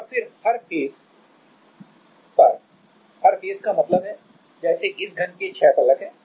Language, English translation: Hindi, And then at every face at every face means; like this cube has six faces right